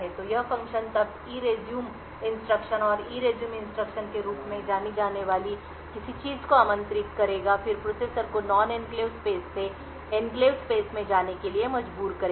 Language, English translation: Hindi, So, this function would then invoke something known as the ERESUME instruction and ERESUME instruction would then force the processor to move from the non enclave space to the enclave space